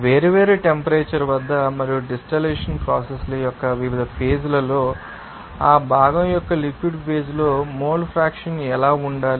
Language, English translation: Telugu, And also what should be the mole fraction in that liquid phase of that component at different temperature and it can different stages of that you know distillation processes